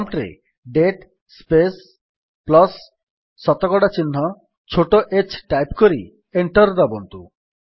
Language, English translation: Odia, Type at the prompt: date space plus percentage sign small h and press Enter